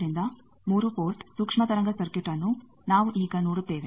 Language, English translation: Kannada, So, 3 port microwave circuit that is now we will see